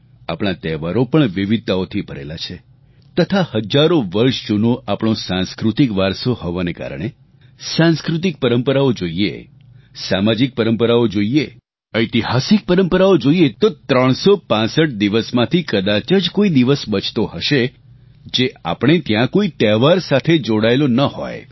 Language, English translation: Gujarati, Ours is arich cultural heritage, spanning thousands of years when we look at our cultural traditions, social customs, historical events, there would hardly be a day left in the year which is not connected with a festival